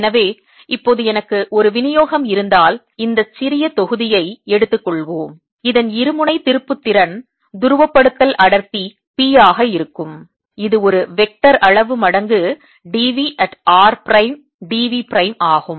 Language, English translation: Tamil, let's take this small volume and i just said that the dipole moment of this is going to be the polarization density: p, which is a vector quantity times d v at r prime d v prime